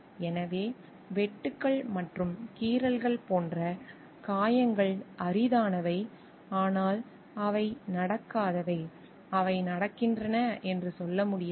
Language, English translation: Tamil, So, injuries like cuts and lacerations are rare, but we cannot tell like they do not happen they happen